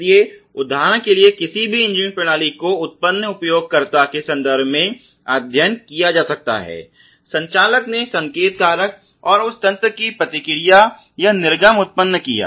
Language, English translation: Hindi, So, any engineering system for example, can be studied in terms of the user generated, the operator generated signal factor and the response or the output of that system